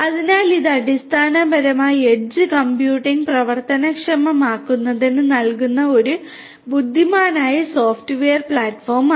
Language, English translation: Malayalam, So, it is basically an intelligent software platform that is provided for enabling edge computing